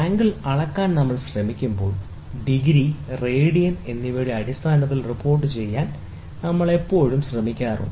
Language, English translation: Malayalam, When we try to go measure the angle, we always try to report it in terms of degrees and radians